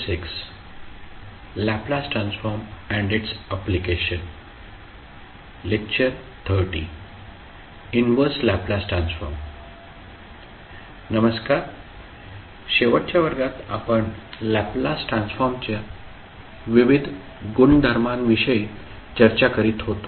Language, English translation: Marathi, In the last class, we were discussing about the various properties of Laplace transform